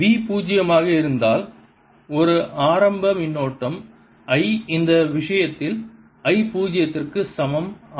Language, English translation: Tamil, suppose v was zero and there is an initial current i equals i zero